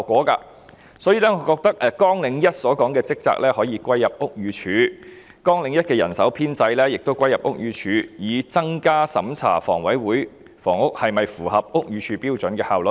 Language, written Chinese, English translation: Cantonese, 因此，我認為綱領1的職責可以歸入屋宇署，而綱領1的人手編制亦可一併歸入屋宇署，從而提升審查房委會的房屋是否符合屋宇署標準的效率。, I hence believe the functions under Programme 1 can be passed onto BD whereas the staff establishment of Programme 1 can also be incorporated into BD with a view to enhancing the efficiency of the work of reviewing whether the housing of HA is in compliance with the standards of BD